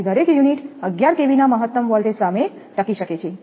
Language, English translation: Gujarati, So, each unit can withstand a maximum voltage of 11 kV